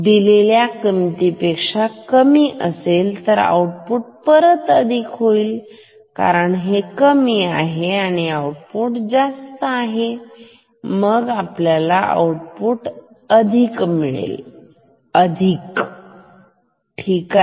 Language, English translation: Marathi, If this is lower than this then output will become positive again because this is lower, this is higher then output will be positive; positive again ok